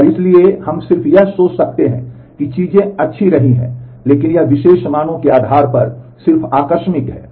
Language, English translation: Hindi, And so, we might just think that things have been good, but this is just incidental based on the particular values